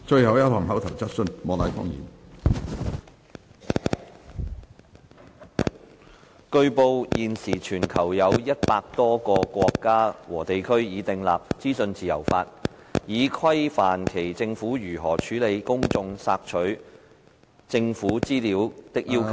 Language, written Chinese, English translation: Cantonese, 主席，據報，現時全球有100多個國家和地區已訂立資訊自由法，以規範其政府如何處理公眾索取政府資料的要求。, President it has been reported that at present more than 100 countries and regions across the globe have enacted legislation on freedom of information to regulate on how their governments handle public requests for access to government information